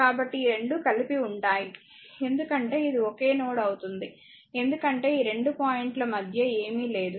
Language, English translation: Telugu, So, these 2 are combined, because it will be a single node because nothing is there in between these 2 points